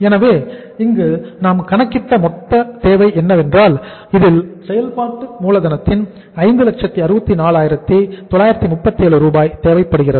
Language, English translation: Tamil, So the total requirement we have worked out here is that is the 564,937 Rs of the working capital is is required